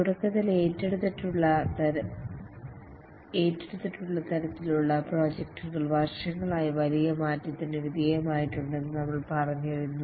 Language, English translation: Malayalam, At the beginning we had said that the type of projects that are undertaken have undergone a drastic change over the years